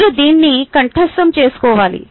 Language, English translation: Telugu, you should memorize this